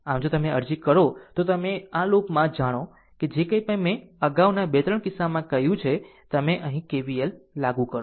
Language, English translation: Gujarati, So, if you apply if you apply know in this loop whatever I told previously 2 3 cases, you apply KVL here